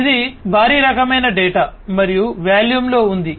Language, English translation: Telugu, This is huge kind of data and huge in volume